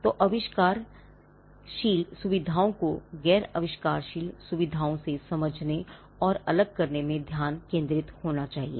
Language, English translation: Hindi, So, the focus has to be in understanding and isolating the inventive features from the non inventive features